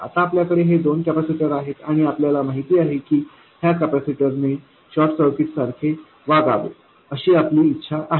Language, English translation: Marathi, Now we have these two capacitors and we know that we want these capacitors to behave like short circuits